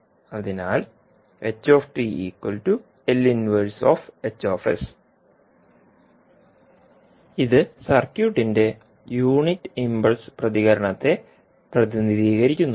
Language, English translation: Malayalam, So, this represents unit impulse response of the circuit